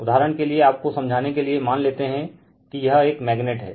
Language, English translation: Hindi, So, suppose this is suppose for example, for your understanding suppose this is a magnet right